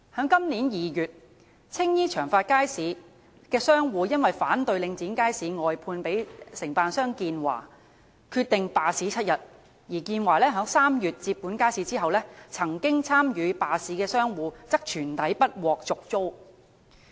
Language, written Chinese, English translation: Cantonese, 今年2月，青衣長發街市的商戶因反對領展將街市外判予承辦商建華，決定罷市7天，而在建華於3月接管街市後，曾經參與罷市的商戶則全體不獲續租。, This February traders of Cheung Fat Market in Tsing Yi decided to launch a week - long strike to protest against outsourcing of the market to contractor Uni - China by Link REIT . And when Uni - China took over the market in March all traders who had participated in the strike were not offered a renewal of tenancy